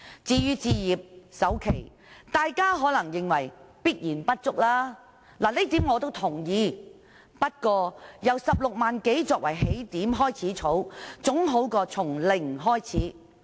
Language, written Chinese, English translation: Cantonese, 至於置業首期，大家可能認為這筆錢一定不足夠，這點我也同意，不過，由16多萬元作為起點開始儲蓄，總比從零開始好。, As for the down payment for home acquisition Members definitely consider this amount of money inadequate . I agree with this too . Nevertheless it is always better to start saving on top of 160,000 or so than from scratch